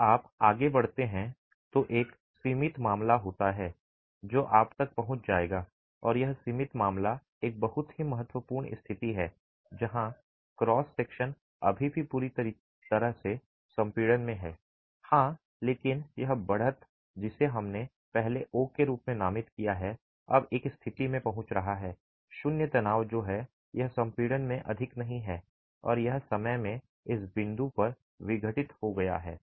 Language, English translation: Hindi, As you move forward there is a limiting case that you will reach and that limiting case is a very important situation where the cross section is still fully in compression, yes, but this edge which we had designated earlier as O is now reaching a state of zero stress which is it is no more in compression and it's been decompressed at this point in time